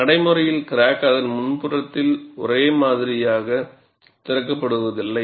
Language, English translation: Tamil, In practice, the crack does not open uniformly along its front